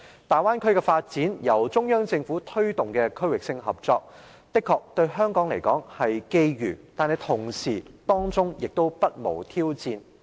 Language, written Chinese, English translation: Cantonese, 大灣區的發展是由中央政府推動的區域性合作，對香港來說的確是機遇，但同時當中亦不無挑戰。, As a regional cooperation initiative promoted by the Central Government the Bay Area development is surely an opportunity for Hong Kong but it is not free from challenges